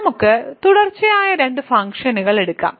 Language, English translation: Malayalam, So, let us take two continuous functions